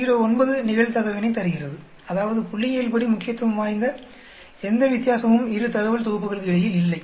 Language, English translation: Tamil, 09, which means that there is no statistically significant difference between these 2 data sets